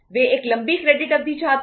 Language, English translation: Hindi, They want a longer credit period